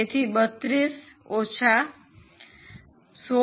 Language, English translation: Gujarati, So, 32 minus 16